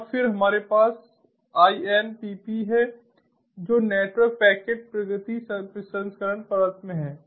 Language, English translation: Hindi, and then we have the inpp, which is the in network packet progressing processing layer